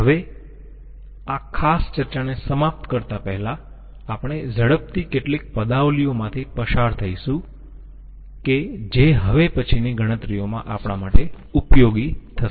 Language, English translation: Gujarati, Now we will quickly go through, before ending this particular discussion we will quickly go through some expressions which will be useful to us in the later calculations